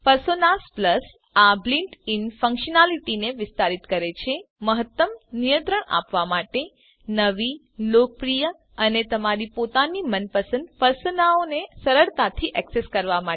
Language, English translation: Gujarati, # Personas Plus extends this built in functionality # to give greater control # easier access to new, popular, and even your own favorite Personas